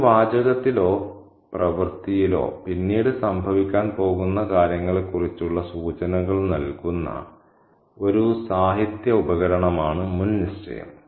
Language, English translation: Malayalam, Foreshadowing is a literary device that kind of gives us a hint about the things that are going to happen later on in a text or work